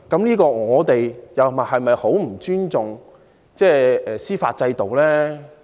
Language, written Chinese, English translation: Cantonese, 如果我們這樣做，豈非十分不尊重司法制度？, In so doing are we not showing gross disrespect for the judicial system?